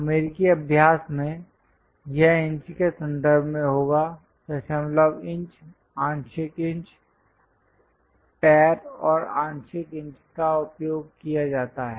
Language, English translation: Hindi, In American practice, it will be in terms of inches, decimal inches, fractional inches, feet and fractional inches are used